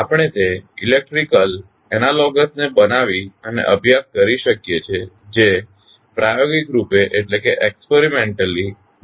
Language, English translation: Gujarati, We can build and study its electrical analogous which is much easier to deal with experimentally